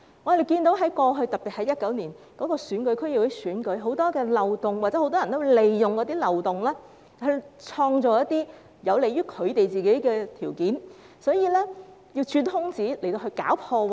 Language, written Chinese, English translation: Cantonese, 我們看到過去，特別是2019年的區議會選舉，有很多漏洞，有很多人利用漏洞而創造有利於他們的條件，會鑽空子搞破壞。, In the past we could see a lot of loopholes in particular in the District Council election in 2019 . Many people took advantage of these loopholes to create conditions favourable to themselves or cause damages